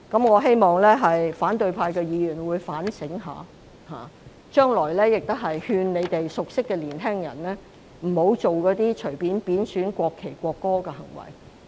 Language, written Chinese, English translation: Cantonese, 我希望反對派議員會好好反省，將來亦會勸諭他們熟悉的年輕人，不要隨便作出貶損國旗和國歌的行為。, It is my hope that Members of the opposition camp will do some self - reflection and that in the future they will persuade young people whom they know well not to casually behave in a way disrespectful to the national flag and the national anthem